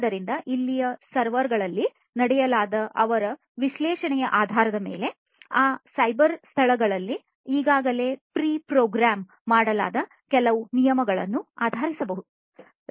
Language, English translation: Kannada, So, based on their analysis that is performed in the servers over here maybe based on certain rules etcetera that are already pre programmed in those you know cyber spaces